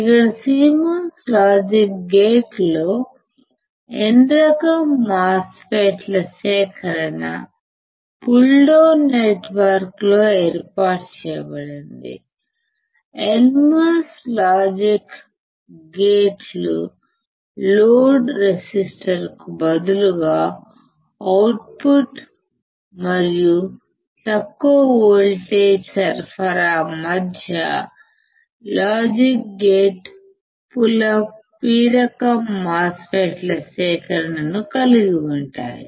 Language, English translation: Telugu, Here in CMOS logic gates a collection of N type MOSFETs is arranged in a pull down network, between output and the low voltage supply right instead of load resistor of NMOS logic gates, CMOS logic gates have a collection of P type MOSFETs in a pull up network between output and higher voltage